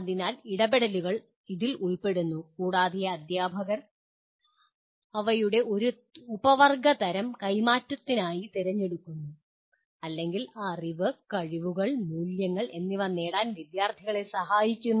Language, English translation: Malayalam, So the interventions consist of this and the teacher chooses a subset of these to kind of transfer or rather to facilitate students to acquire knowledge, skills and values